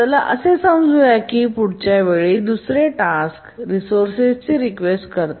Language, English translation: Marathi, And let's say next time another task requests a resource